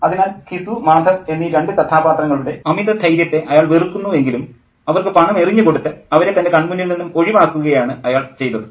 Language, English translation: Malayalam, So, despite the fact that he hates the guts of these two characters, Gisuu and Mather, he just throws some money and gets them out of his way